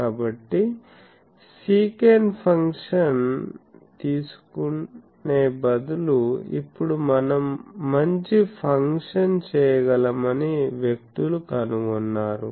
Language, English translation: Telugu, So, in instead of taking sec function, now people have found out that we can have a better function that